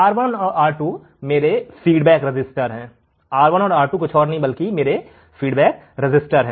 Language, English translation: Hindi, What is R1 and R2, R1 and R2 are my feedback resistors, R1 and R2 are nothing but my feedback resistors